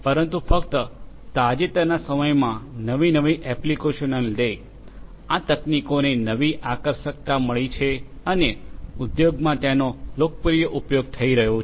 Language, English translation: Gujarati, But only in the recent times, because of the newer applications that are coming up, these technologies have got renewed attractiveness and are being used popularly in the industries